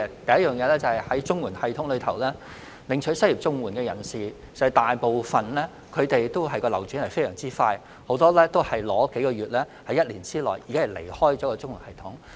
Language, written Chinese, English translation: Cantonese, 第一，在綜援系統下，領取失業綜援的人大部分流轉非常快，很多只是領取數個月，並在1年內離開綜援系統。, First under the system the turnover rate of most CSSA recipients is fast; many of them only received payments for a few months and then left the CSSA system within a year